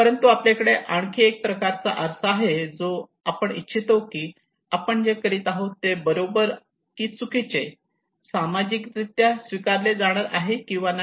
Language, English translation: Marathi, But we have another kind of mirror that we want to that what we are doing is right or wrong, socially accepted or not, individually accepted or not